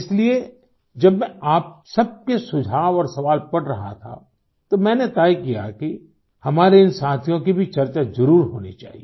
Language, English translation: Hindi, Therefore, when I was reading your suggestions and queries, I decided that these friends engaged in such services should also be discussed